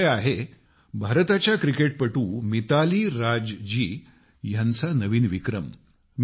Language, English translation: Marathi, This subject is the new record of Indian cricketer MitaaliRaaj